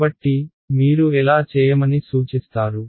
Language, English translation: Telugu, So, how do you suggest I do that